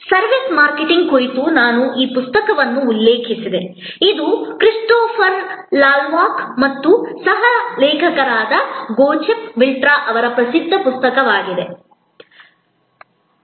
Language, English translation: Kannada, I referred to this book on Services Marketing, it is a famous book by Christopher Lovelock and Jochen Wirtz my co authors, published by Pearson